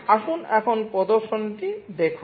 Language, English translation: Bengali, Let us look at the demonstration now